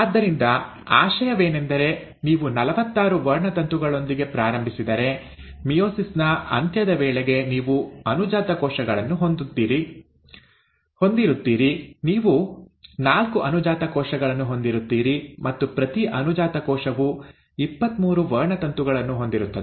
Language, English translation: Kannada, So the idea is, if you start with forty six chromosomes by the end of meiosis, you will have daughter cells, you will have four daughter cells with each daughter cell containing twenty three chromosomes